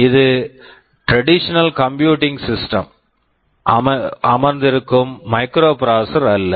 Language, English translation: Tamil, Well it is not a microprocessor sitting inside a traditional computing system